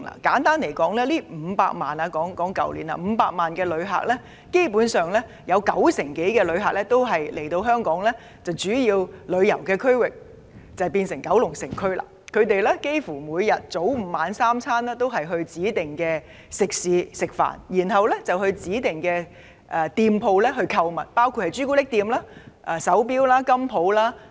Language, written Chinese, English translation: Cantonese, 簡單而言，在去年的500萬人次的旅客當中，九成以上旅客來港主要到訪九龍城區，他們早午晚三餐在指定食肆吃飯，然後到指定店鋪購物，包括朱古力店、手錶店及金鋪等。, To put it simply of the 5 million visitor arrivals last year over 90 % of inbound visitors have visited the Kowloon City District most often . They would have breakfast lunch and dinner at designated restaurants and visit designated shops such as chocolate shops watch shops and gold jewellery shops